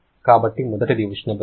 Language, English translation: Telugu, So, first is heat transfer